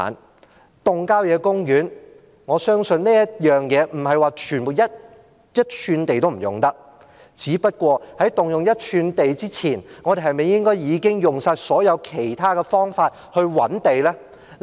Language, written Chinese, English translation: Cantonese, 關於動用郊野公園的土地，我相信不是一吋土地也不能用，只不過，在動用一吋土地之前，我們是否應該先用盡所有其他方法覓地呢？, As regards utilization of country parks I believe that it is not the case that we cannot use one single inch of country park land . But before we use an inch of country park land should we first exhaust all other means to identify land?